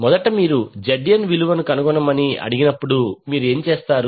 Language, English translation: Telugu, So when you, when you are ask to find the value of Zn first what you will do